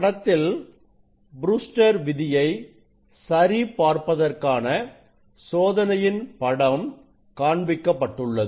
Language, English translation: Tamil, experiment is the verify the Brewster s law; what is Brewster s law